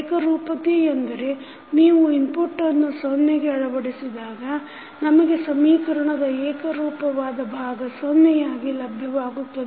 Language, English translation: Kannada, Homogeneous means you set the input to 0, so we get the homogeneous part of the equation to 0